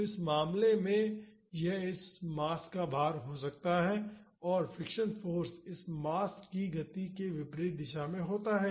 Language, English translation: Hindi, So, in this case this could be the weight of this mass and the friction force is in the opposite direction of the motion of this mass